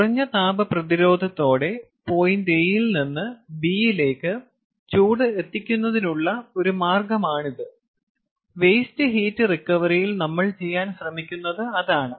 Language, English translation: Malayalam, its a means of transporting heat from point a to a point b with minimum thermal resistance, which is what we are trying to do in kinds of waste heat recovery